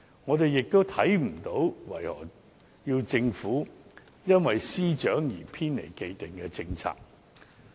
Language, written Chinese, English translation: Cantonese, 我們亦看不到為何要求政府因事件涉及司長而偏離既定的政策。, We do not see why we should request the Government to depart from the established policy just because the Secretary for Justice is involved